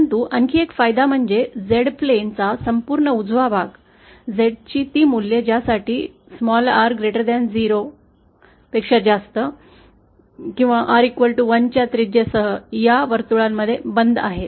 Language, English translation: Marathi, But another advantage is that the entire rights half of the Z plane, that is those values of Z for which r greater than 0 is now enclosed within this circle having radius 1